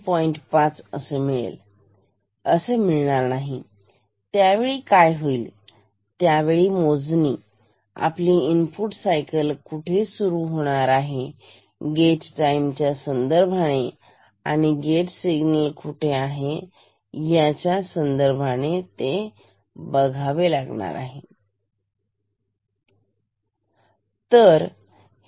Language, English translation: Marathi, Then the actual count will depend on where the input cycle starts with respect to the gate time with respect to gate signal